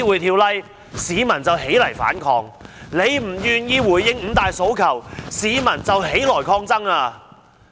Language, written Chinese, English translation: Cantonese, 因為她不願意回應"五大訴求"，市民便起來抗爭。, Since she has not responded to the five demands the people rise to fight